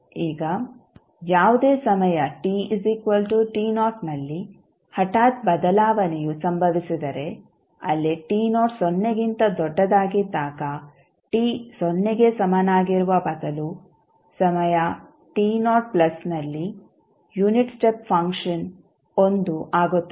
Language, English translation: Kannada, Now, if the abrupt change occurs at any time t is equal to t naught where t naught is greater than 0 then instead of t is equal to 0 the unit step function will become 1 at time t naught plus